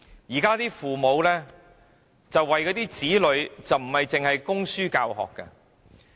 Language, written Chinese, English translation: Cantonese, 現今父母為子女所做的事，不止供書教學。, Nowadays parenting is more than just paying for the education of children